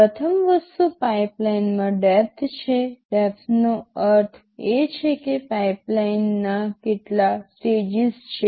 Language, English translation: Gujarati, First thing is pipeline depth; depth means how many stages of the pipeline are there